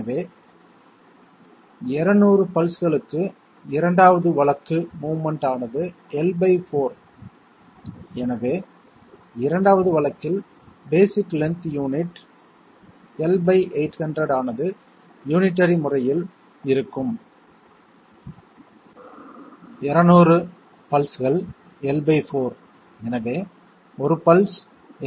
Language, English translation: Tamil, So 2nd case for 200 pulses, the movement is L by 4 and therefore, the basic length unit in the 2nd case will be L by 800 by unitary method, 200 pulses L by 4, so 1 pulse L by 800